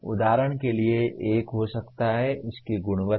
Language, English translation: Hindi, For example one may be its quality